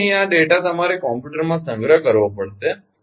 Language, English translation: Gujarati, so here, this data you have to stored in a computer